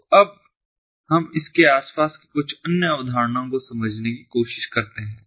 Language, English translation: Hindi, so now let us try to understand few other concepts surrounding it